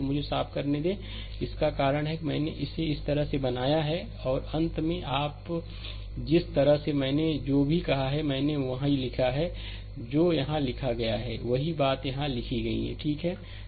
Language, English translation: Hindi, So, let me clean it , right that is why I have make it like this and finally, finally, if you the way I told whatever, I wrote same thing is written here same thing is written here, right